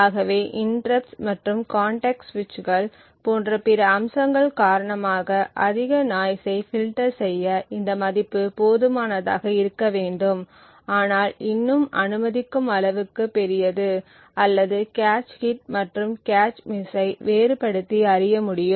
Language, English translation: Tamil, So, this value should be good enough to filter out most of the noise due to interrupts and other aspects like context switches and so on but yet the big large enough to permit or to be able to distinguish between cache hits and cache misses